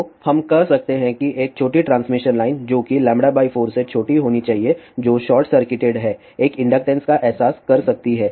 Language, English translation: Hindi, So, we can say that is small transmission line which has to be smaller than lambda by 4 which is short circuited can realize an inductance